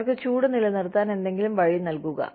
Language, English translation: Malayalam, Give them, some way to keep warm